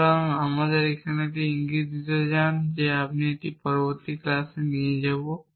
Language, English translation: Bengali, So, let me just give you a hint here and we will take it up the next class